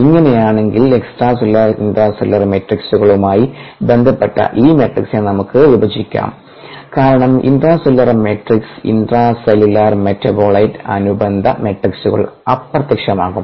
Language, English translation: Malayalam, if this is the case, then we could spilt up this matrix as related to extracellular and intracellular ah matrixes, because intracellular matrixes, intracellular metabolite related matrixes, will back